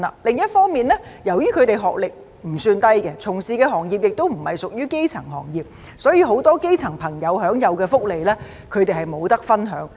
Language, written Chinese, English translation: Cantonese, 另一方面，由於他們的學歷不算低，從事的行業亦不屬於基層行業，所以，很多基層朋友享有的福利，他們都不能分享。, On the other hand since their academic qualifications are not low and the industries in which they work are not grass - roots industries they therefore are denied of a share of the many benefits enjoyed by the grass - roots workers